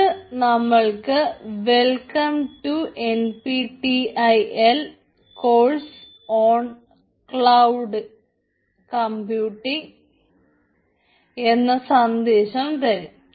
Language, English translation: Malayalam, so this will give me the message: welcome to n p t e l course on cloud computing